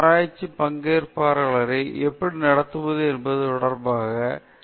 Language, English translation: Tamil, There are a set of questions which deal with how to treat the participants in research